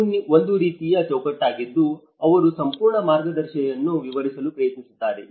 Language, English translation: Kannada, This is a kind of framework which they try to describe the whole guide